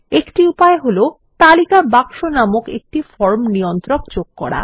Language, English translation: Bengali, One way is to add a form control called List box